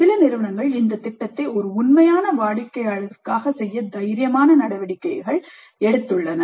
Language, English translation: Tamil, And in some institutes, they have taken the bold step of having this project done for a real client